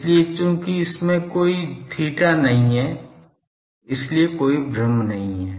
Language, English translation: Hindi, So, since it does not have any theta so, there is no confusion